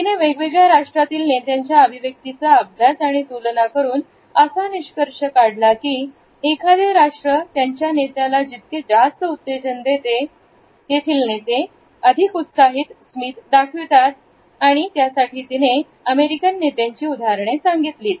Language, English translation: Marathi, She had compared the emotional expressions of leaders across different nations and has concluded that the more a particular nation will use excitement, the more their leaders show excited smiles and she has quoted the examples of the American leaders